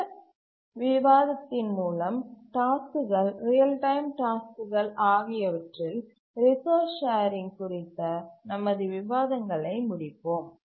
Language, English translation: Tamil, Now with that discussion, let's conclude our discussions on resource sharing among tasks, real time tasks